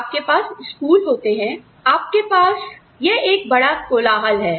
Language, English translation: Hindi, You have schools, you have this, this big hullabaloo going on